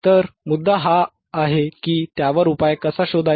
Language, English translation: Marathi, So, the point is, how can we find the solution to it